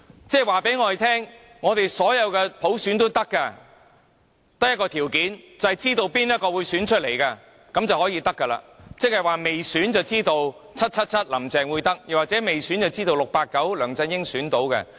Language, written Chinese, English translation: Cantonese, 這等於告訴我們，你們要任何普選也可以，只有一個條件，便是誰人當選早有定案，即未選便已知 "777"" 林鄭"會當選，又或未選便知道 "689" 梁振英會當選。, This is no different from telling us that whatever kinds of elections by universal suffrage we ask for will be granted but on one single condition namely the candidates to be elected isare predetermined . No wonder as in the case of 689 it was already known that 777 Carrie LAM would be elected before the election took place